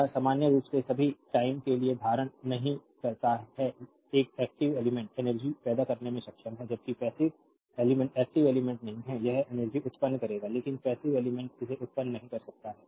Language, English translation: Hindi, It does not hold for all time in general an active element is capable of generating energy, while passive element is not active element it will generate energy, but passive element it cannot generate